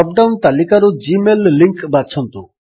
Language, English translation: Odia, Choose the gmail link from the drop down list